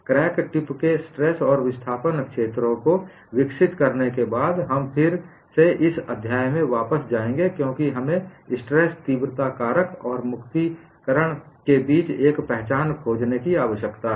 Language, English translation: Hindi, You would come back to this chapter after developing crack tips, stress and displacement fields, because we need to find out an identity between stress intensity factors in energy release rate